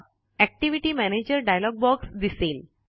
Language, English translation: Marathi, The Activity Manager dialog box appears